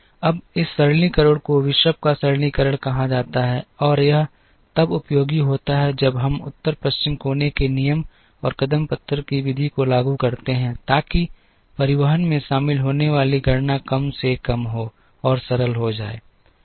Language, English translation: Hindi, Now, this simplification is called the Bishop’s simplification and that is useful when we apply the North West corner rule and the stepping stone method, so that the computations that are involved in the transportation is minimised and are simplified